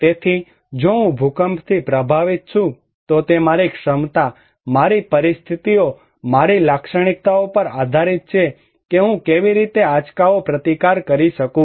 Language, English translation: Gujarati, So, if I am hit by an earthquake, it depends on my capacity, on my conditions, my characteristics that how I can resist the shock